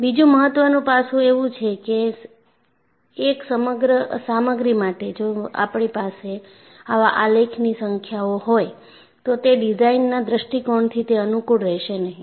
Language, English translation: Gujarati, Another important aspect is, for one material, if I have number of such graphs, it would not be convenient from a design point of view